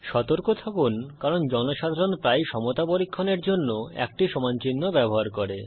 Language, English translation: Bengali, Please be careful because, often people use a single equal to symbol for checking equality